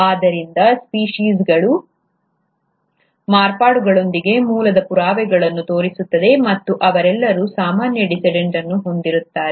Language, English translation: Kannada, So, species show evidence of descent with modification, and they all will have common ancestor